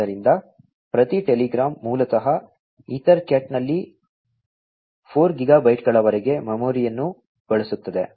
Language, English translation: Kannada, So, every telegram basically utilizes the memory up to 4 gigabytes in size in EtherCat